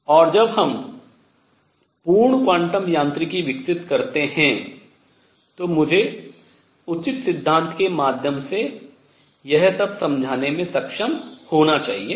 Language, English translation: Hindi, And when we develop the full quantum mechanics I should be able to explain all this through proper theory